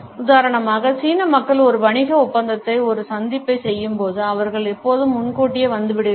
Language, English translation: Tamil, For instance when the Chinese people make an appointment for example a business deal they were always arrive early